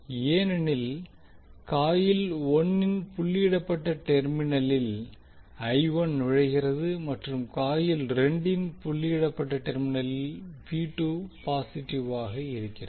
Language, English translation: Tamil, Because I1 enters the doted terminal of the coil 1 and V2 is positive at the doted terminal of coil 2